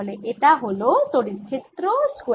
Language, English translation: Bengali, so this is electric field square d v